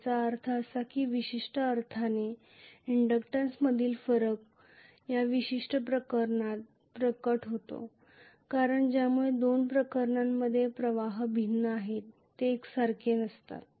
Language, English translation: Marathi, That means the difference in the inductance in one sense is manifested in this particular case because of which in the two cases, the currents happen to be different, they are not the same